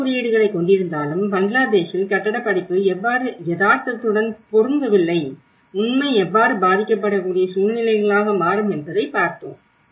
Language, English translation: Tamil, And how the building course doesnít match with the reality in Bangladesh despite of having the building codes, how the reality turns into a vulnerable situations